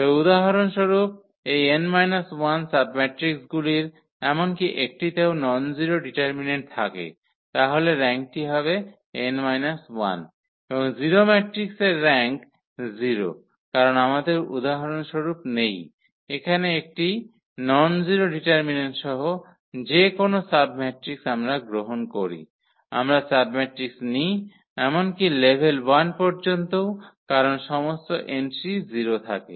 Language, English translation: Bengali, But for instance, this n minus one submatrices even one has nonzero determinant then the rank will be that n minus 1, and rank of a 0 matrix is 0 because we do not have for example, here this any submatrix with nonzero determinant any submatrix we take, even up to level 1 also because all the entries are 0